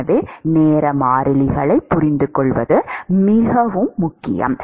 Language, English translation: Tamil, So, it is very important to understand time constants